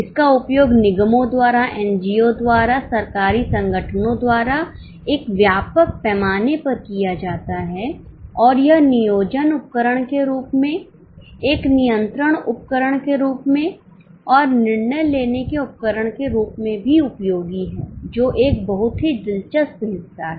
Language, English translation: Hindi, It is used by corporations, by NGOs, by government organizations on an extensive scale and it has become useful as a planning tool, as a control tool and as also the decision making tool